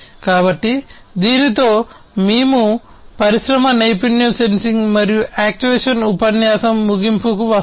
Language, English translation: Telugu, So, with this we come to an end of industry skill sensing and actuation lecture